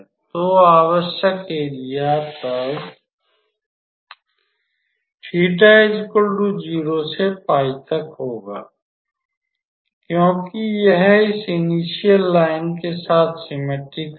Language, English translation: Hindi, So, the required area will then be just theta from 0 to pi because it is symmetrical along this initial line